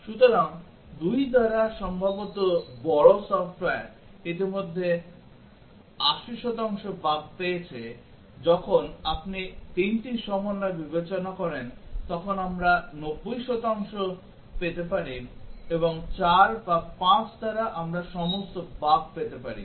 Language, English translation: Bengali, So, by 2 maybe large software might have got already 80 percent of the bugs, when you consider 3 combinations we might get 90 percent and by 4 or 5 we might have got all bugs